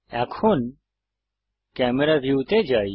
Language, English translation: Bengali, This is the Camera View